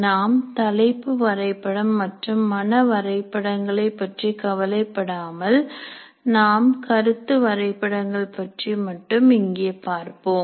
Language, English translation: Tamil, So we will not worry about the topic maps and mind maps and mainly look at concept map here